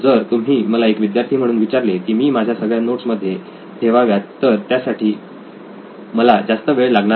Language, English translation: Marathi, So if you ask me as a student to upload all my notes into a repository, then that might not take a lot of time